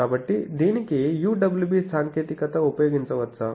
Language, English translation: Telugu, So, can it have that UWB technology